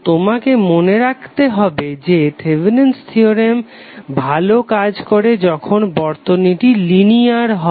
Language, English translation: Bengali, So you have to keep in mind that the Thevenin’s theorem works well when the circuit is linear